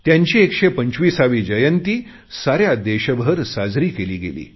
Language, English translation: Marathi, His 125th birth anniversary was celebrated all over the country